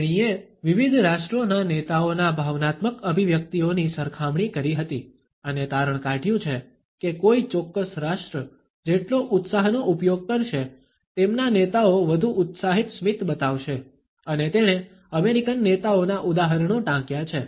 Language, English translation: Gujarati, She had compared the emotional expressions of leaders across different nations and has concluded that the more a particular nation will use excitement, the more their leaders show excited smiles and she has quoted the examples of the American leaders